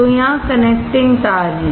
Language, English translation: Hindi, So, here there are connecting wires